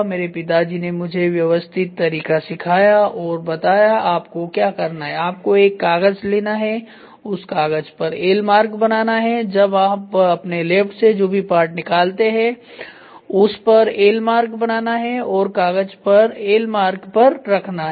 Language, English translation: Hindi, My father taught me the systematic way and what you have to do if you have to take a paper, you have to take apart mark on the part L on the paper whatever you do keep that and mark it as L